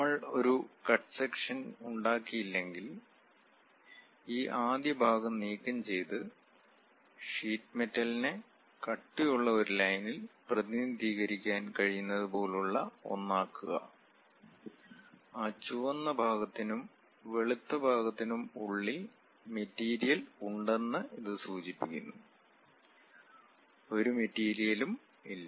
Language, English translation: Malayalam, Unless we make a cut section remove this first part and show something like, where sheet metal can be represented by a thick line; that indicates that material might be present within that red portion and the white portion, there is no material